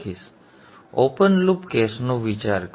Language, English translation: Gujarati, Now think of the open loop case